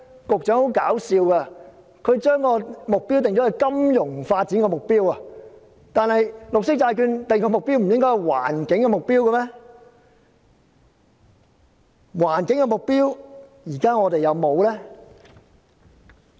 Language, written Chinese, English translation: Cantonese, 十分可笑的是，局長竟然將金融發展訂為目標，但綠色債券不是應該訂定環境目標嗎？, It is extremely ridiculous for the Secretary to make financial development their goal . Insofar as green bonds are concerned should they set some environmental goals instead?